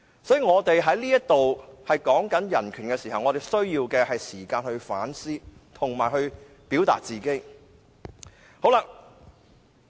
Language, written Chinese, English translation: Cantonese, 所以，我們在這裏討論人權時，需要時間去反思及表達自己的意見。, Hence when we are discussing human rights here we need more time to reflect and express our views